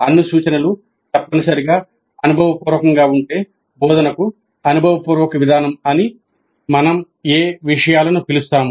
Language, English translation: Telugu, If all instruction must be experiential, what do we call as experiential approach to instruction